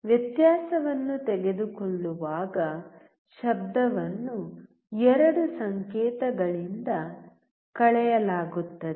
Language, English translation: Kannada, While taking the difference, noise is subtracted from both the signals